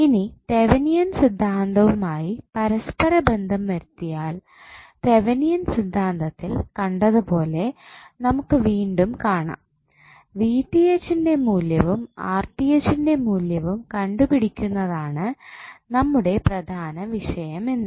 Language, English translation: Malayalam, Now, if you correlate with the Thevenin's theorem you will see again as we saw in Thevenin theorem that our main concerned was to find out the value of V Th and R th